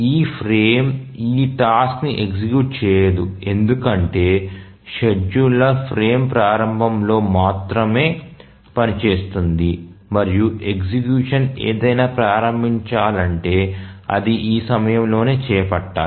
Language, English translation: Telugu, Obviously this frame cannot start execution of this task because the scheduler activities only at the start of the frame and if anything whose execution is to be started must be undertaken at this point